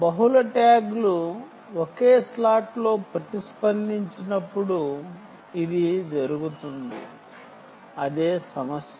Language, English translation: Telugu, this happens when multiple tags, multiple tags, multiple tags respond, respond in the same slot